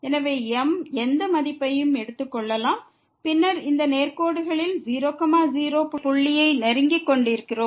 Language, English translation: Tamil, So, m can take any value and then, we are approaching to the point here the along these straight lines